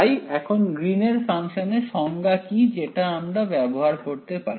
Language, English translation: Bengali, So now, what is the definition of Green’s function now that we will that we can use